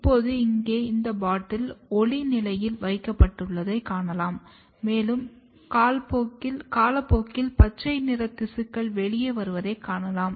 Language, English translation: Tamil, Now, here you can see with time this bottle has been placed under light condition and with time you can see that there are green colored tissue coming out